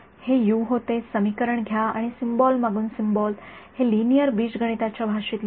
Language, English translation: Marathi, It becomes u just take this equation and symbol by symbol let us write it on the language of linear algebra